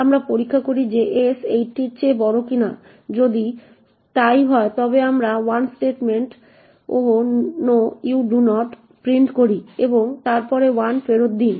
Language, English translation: Bengali, We check whether s is greater than equal to 80, if so then we printf 1 statement ‘Oh no you do not’ and then return minus 1